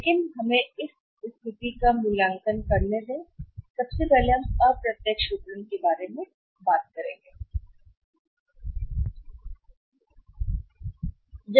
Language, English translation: Hindi, But let us see evaluate this situation the first of all we go for the say indirect marketing